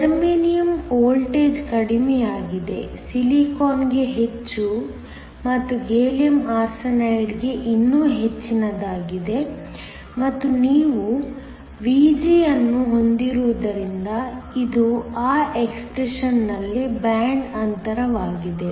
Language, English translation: Kannada, The voltage is lowest for Germanium, is higher for Silicon and is even more higher for Gallium Arsenide and this is because you have Vg, which is the band gap in that expression